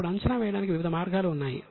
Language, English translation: Telugu, Now, there are various ways of estimating